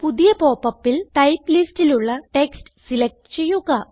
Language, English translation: Malayalam, In the new popup, let us select Text in the Type list